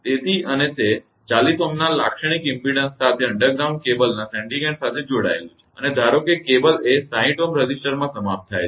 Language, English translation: Gujarati, So, and its connected to the sending end of an underground cable with characteristic impedance of 40 ohm and assume that the cable is terminated in a 60 ohm resistor right